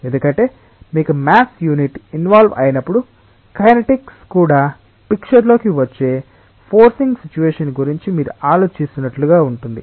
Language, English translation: Telugu, Because when you have a maths unit involved it is as if like you are thinking of a forcing situation where the kinetics also come into the picture